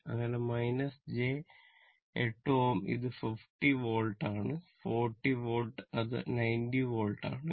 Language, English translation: Malayalam, So, minus j 8 ohm and it is 50 volt it is 40 volt and it is your what you call 90 volt